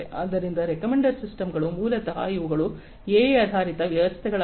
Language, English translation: Kannada, So, recommender systems basically what they do these are also AI based systems